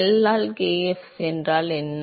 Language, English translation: Tamil, What is L by kf A